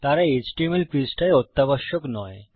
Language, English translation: Bengali, Theyre not vital in an html page